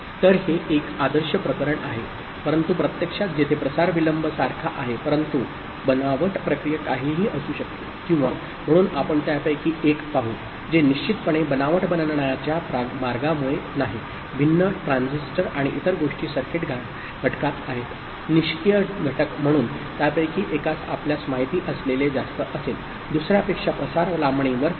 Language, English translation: Marathi, So, that is the ideal case where the propagation delays are identical but whatever be the fabrication process or so we will see that one of them which is not, for sure because of the way it gets fabricated, different transistors and other things are there in the circuit element, passive element so, one of them will be having a higher you know, propagation delay than the other